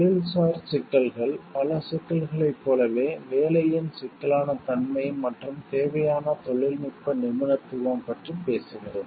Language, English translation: Tamil, Professional issues, so like with many of the issues which talks of degrees of job complexity and required technical proficiency are introduced